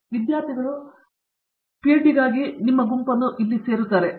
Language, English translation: Kannada, So, some students joinÕs here for or joinÕs your group for PhD